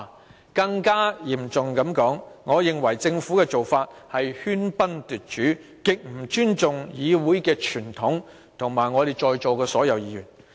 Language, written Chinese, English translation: Cantonese, 說得更嚴重些，我認為政府的做法是喧賓奪主，極不尊重議會的傳統及我們在座全體議員。, To put it more seriously I think the Government usurps the hosts role in this Council disrespecting the convention of the Council and all Members